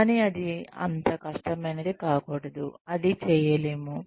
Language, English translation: Telugu, But, it should not be so difficult, that it cannot be done